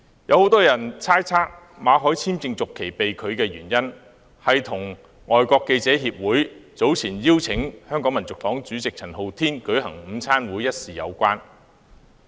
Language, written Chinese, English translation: Cantonese, 有很多人猜測，馬凱的工作簽證續期被拒的原因，是與香港外國記者會早前邀請香港民族黨主席陳浩天舉行午餐會一事有關。, Many people speculated whether the refusal to renew MALLETs work visa was linked to the invitation of the Foreign Correspondents Club Hong Kong FCC to Andy CHAN founder of the Hong Kong National Party to a lunch event